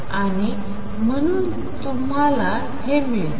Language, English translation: Marathi, And therefore, you get this